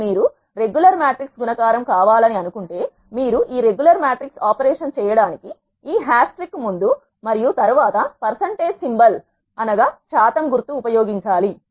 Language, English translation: Telugu, But if you want to have a regular matrix multiplication you have to use percentage symbol before and after this hash trick that will perform the regular matrix operation